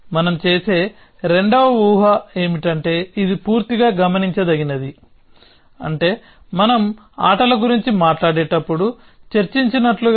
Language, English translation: Telugu, The second assumption that we make is that, it is fully observable which means just as we discussed when we were talking about games